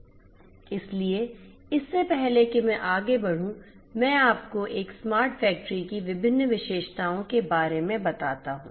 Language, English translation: Hindi, So, before I proceed let me show you some of the different features of a smart factory